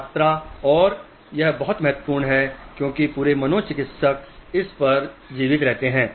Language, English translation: Hindi, The quantity and it is very important because the whole of psychiatry survives on this